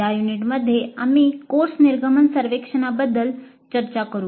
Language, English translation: Marathi, In this unit we will discuss the course exit survey